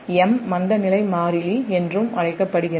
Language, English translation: Tamil, m is also called the inertia constant